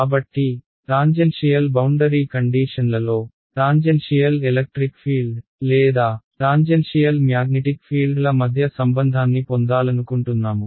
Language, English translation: Telugu, So, in tangential boundary conditions, I want to get a relation between the tangential electric fields or tangential magnetic fields as the case may be right